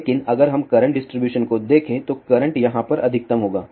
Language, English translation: Hindi, But if we look at the current distribution then the current will be a maximum over here